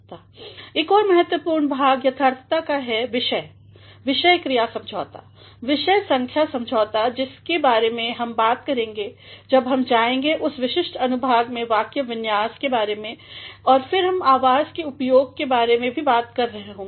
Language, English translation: Hindi, Another important segment of correctness is subject verb agreement, subject number agreement which we shall be talking about when we go to this specific section on syntax and then we shall also be talking about the use of voice